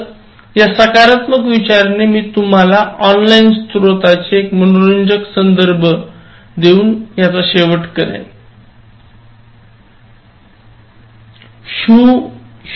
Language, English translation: Marathi, So, with this positive thought, let me conclude this with, one interesting reference to your online source